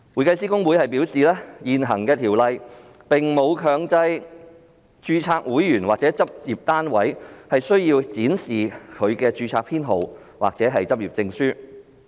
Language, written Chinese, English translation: Cantonese, 公會表示，現行《條例》並沒有強制公會註冊會員或執業單位須展示其註冊編號或執業證書。, HKICPA has advised that the existing Ordinance does not mandate HKICPA - registered members or practice units to display their registration numbers or practising certificates